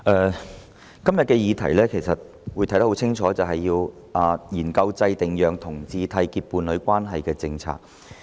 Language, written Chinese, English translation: Cantonese, 主席，今天要討論的議題相當清楚，就是要研究制訂讓同志締結伴侶關係的政策。, President the subject under discussion today is very clear and that is to study the formulation of policies for homosexual couples to enter into a union